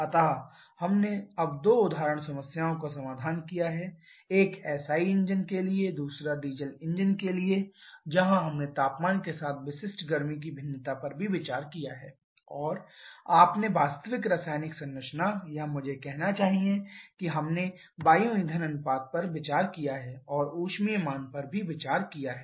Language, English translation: Hindi, So, we have solved now two example problems one for SI engine another for diesel engine where we have considered the variation of specific heat with temperature and also you have considered the actual chemical composition or I should say we have considered the air fuel ratio and calorific value